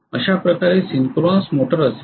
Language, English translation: Marathi, This is how the synchronous motor will be